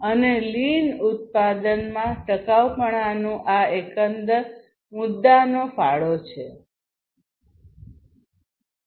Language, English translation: Gujarati, And lean production basically contributes to this overall issue of sustainability